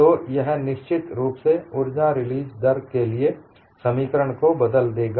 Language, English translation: Hindi, So, this would definitely alter the expression for energy release rate